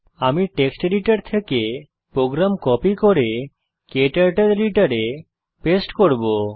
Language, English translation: Bengali, I will copy the code from text editor and paste it into KTurtles editor